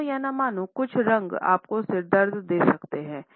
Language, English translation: Hindi, Believe it or not some colors can even give you a headache